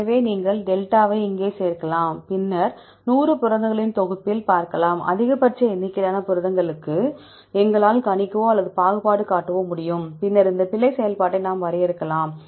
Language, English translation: Tamil, So, you can add this δ and see in a set of 100 proteins, we are able to predict or discriminate exactly for the maximum number of proteins, then we can define this error function